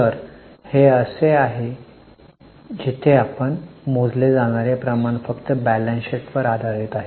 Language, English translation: Marathi, So these were the ratios which we have calculated only based on balance sheet